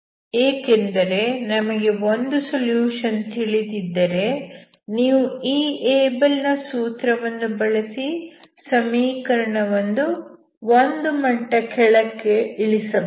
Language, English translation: Kannada, But here we cannot because if you use this Abel’s formula, and if you know one solution, you can reduce the equation into one level down